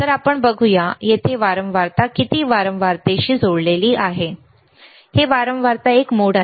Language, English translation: Marathi, So, let us see, what is the frequency here connected to frequency, yes; it is a mode of frequency